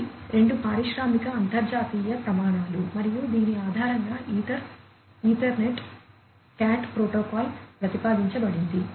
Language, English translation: Telugu, These are two industrial international standards and based on which the ether Ethernet CAT protocol was proposed